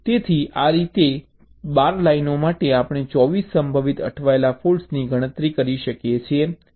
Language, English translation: Gujarati, so in this way, for the twelve lines, we can enumerate twenty four possible stuck at faults